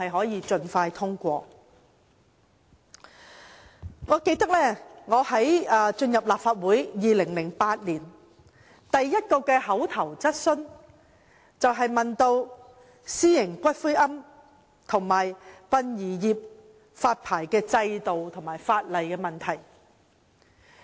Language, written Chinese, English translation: Cantonese, 2008年我剛成為立法會議員，提出的第一項口頭質詢，便是有關私營骨灰龕場和殯儀業的發牌制度和法例問題。, When I first became a Member in 2008 the first oral question I raised was related to the licensing regime and legislation in respect of private columbaria and the funeral trade